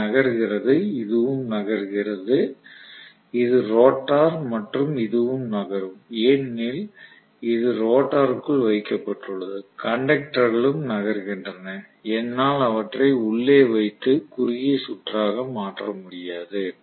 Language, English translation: Tamil, This is moving right, this is also moving, this is the rotor and this is also moving because it is housed inside the rotor, the conductors are also moving, I cannot short circuit them internally